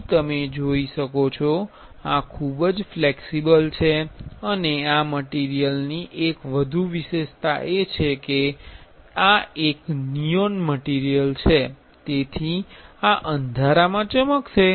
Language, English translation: Gujarati, Here you can see, this is very flexible and this material have one more specialty, this is a neon material, so this will glow in the dark